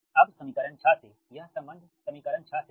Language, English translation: Hindi, this is the relationship from equation six, right